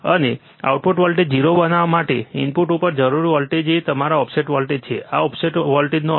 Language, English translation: Gujarati, And the voltage required at the input to make output voltage 0 is your offset voltage, this is what offset voltage means